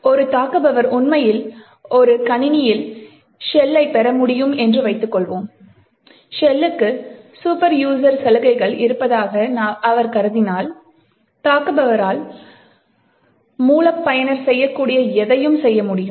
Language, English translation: Tamil, Suppose an attacker actually is able to obtain a shell in a system and if he assume that the shell has superuser privileges then the attacker has super user privileges in that system and can do anything that root user can do